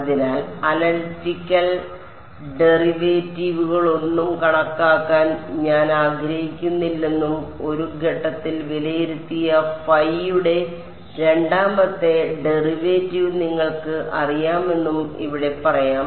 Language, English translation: Malayalam, So, here let us say that I do not want to calculate any analytical derivatives and I have this you know second derivative of phi evaluated at one point